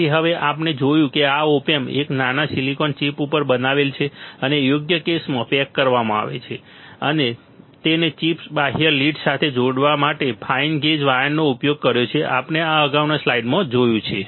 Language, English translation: Gujarati, So, now we see this op amp is fabricated on a tiny silicon chip and packaged in a suitable case, fine gauge wires have you use used to connect the chip to the external leads, we have seen this in the previous slide